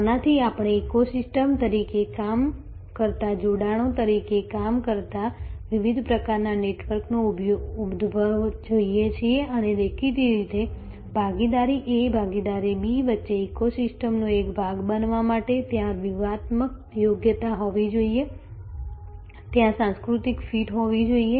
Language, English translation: Gujarati, From this therefore, we see the emergence of different types of networks acting as alliances acting as ecosystems and; obviously, to be a part of the ecosystems between partner A partner B, there has to be strategic fit, there has to be a cultural fit